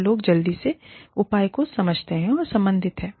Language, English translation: Hindi, So, people quickly understand, and relate to the measure